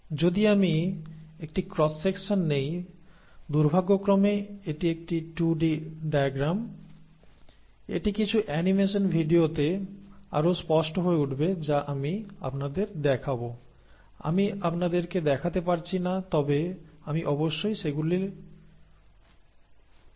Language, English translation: Bengali, Now if I were to take a cross section, this is I am, this is a 2 D diagram unfortunately, it will become clearer in some animation videos which I will show you; I cannot show you but I will definitely give you the links for those